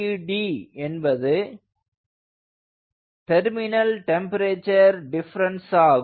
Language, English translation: Tamil, tt d is terminal temperature difference, terminal temperature difference